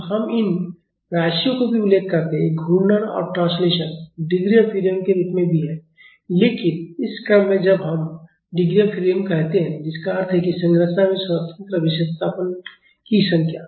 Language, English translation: Hindi, So, we also refer these quantities; these rotations and translation as degrees of freedom also, but in this course when we say degrees of freedom which means the number of independent displacement the masses in the structure is having